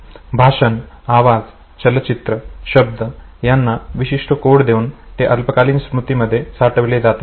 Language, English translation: Marathi, So, speech, sound, visual images, words, they constitute the code that is retained by the short term memory